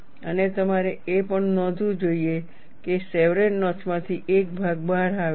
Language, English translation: Gujarati, And you should also note that, there is a portion which comes out of the chevron notch